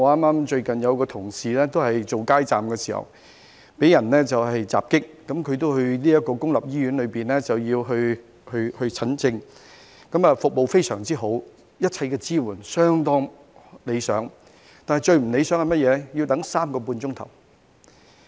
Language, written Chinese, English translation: Cantonese, 我有一位同事最近擺街站時遭受襲擊，他前往公立醫院求診，醫院的服務非常好，一切支援相當理想，但最不理想的是甚麼呢？, Recently a colleague of mine was attacked while manning a street booth . He went to a public hospital for treatment where he received excellent services and the support was pretty satisfactory . Yet what was the most undesirable?